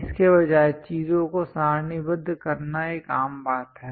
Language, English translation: Hindi, Instead of that it is a common practice to tabulate the things